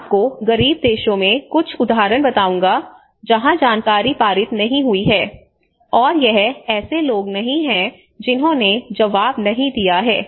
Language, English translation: Hindi, I will tell you some examples in the poorer countries where the information has not been passed, and it has not been people who have not responded